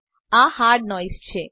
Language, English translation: Gujarati, This is hard noise